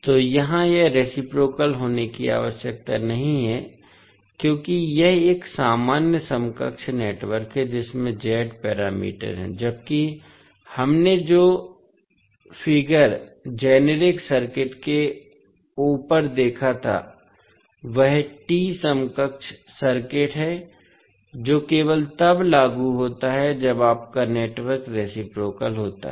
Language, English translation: Hindi, So, here it need not to be reciprocal because this is a generic equivalent network having Z parameters, while the figure which we saw above the generic circuit is T equivalent circuit which is only applicable when your network is reciprocal